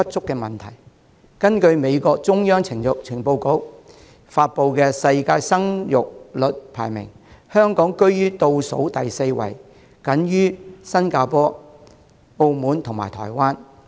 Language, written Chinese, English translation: Cantonese, 根據美國中央情報局發布的世界生育率排名，香港居於倒數第四位，僅高於新加坡、澳門及台灣。, According to the Central Intelligence Agency of the United States Hong Kong sits at the bottom fourth place in the global birth rate rankings outperforming only Singapore Macao and Taiwan